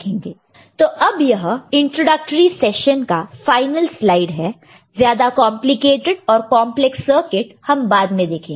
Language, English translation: Hindi, So, now this is the final slide of this introductory session, introductory lecture more complicated circuit, more complex circuit we shall see later